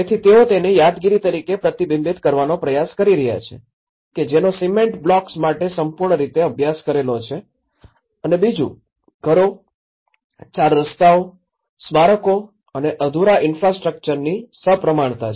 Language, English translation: Gujarati, So, they are trying to reflect as a memory which is a completely studied for cement blocks and the second, is a symmetry of houses, squares, monuments and unfinished infrastructure